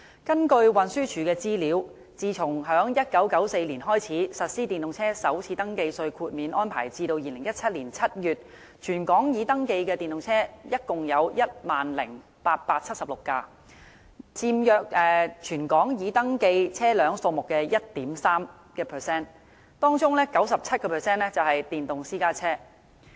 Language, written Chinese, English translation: Cantonese, 根據運輸署的資料顯示，自1994年開始實施電動車首次登記稅豁免安排至2017年7月，全港已登記的電動車共 10,876 輛，約佔全港已登記車輛數目的 1.3%， 當中的 97% 為電動私家車。, As shown by the statistics of the Transport Department from the introduction of first registration tax concessions for EVs in 1994 to July 2017 totally 10 876 EVs were registered accounting for 1.3 % of all registered vehicles in Hong Kong